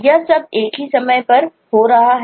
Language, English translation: Hindi, all of that is happening in the same time space